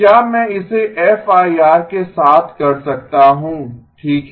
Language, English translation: Hindi, Can I do this with FIR okay